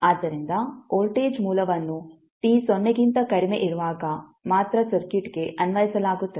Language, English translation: Kannada, So the voltage source is applied to the circuit only when t less than 0